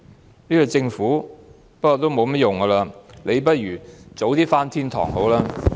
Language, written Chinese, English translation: Cantonese, 不過，這個政府已沒有甚麼作為，倒不如早日上天堂。, Nonetheless this Government is already incapable of doing anything . It might as well go to heaven sooner